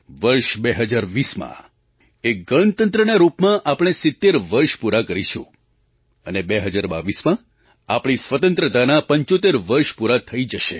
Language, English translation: Gujarati, In the year 2020, we shall complete 70 years as a Republic and in 2022, we shall enter 75th year of our Independence